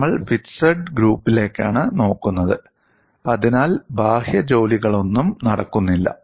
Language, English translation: Malayalam, We are looking at fixed grips, so there is no external work done